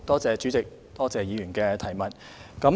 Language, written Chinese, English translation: Cantonese, 主席，多謝議員的補充質詢。, I thank Dr QUAT for her supplementary question